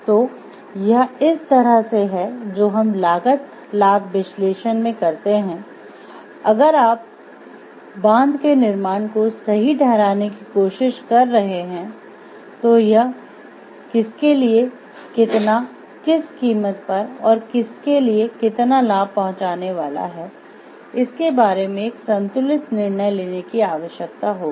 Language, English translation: Hindi, So, which is more like this is where we do a cost benefit analysis, if you are trying to justify the building of the dam how much benefit it is going to bring to whom at the cost of what and to whom and we need to make a balanced decision about it